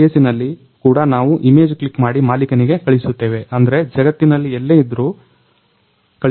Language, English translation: Kannada, In that case also, we click an image and send to the owner whoever and I mean wherever he is in the world